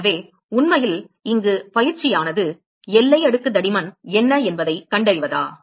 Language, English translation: Tamil, So, really the exercise here is to find out what is the boundary layer thickness